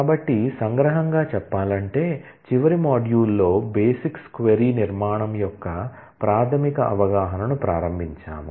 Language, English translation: Telugu, So, to summarize we have started the basic understanding of the basics query structure in the last module